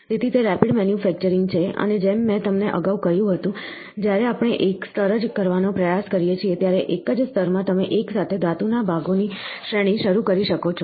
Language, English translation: Gujarati, So, here, it is rapid manufacturing and as I told you earlier, when we try to do one layer, in a single layer you can initiate an array of metal parts together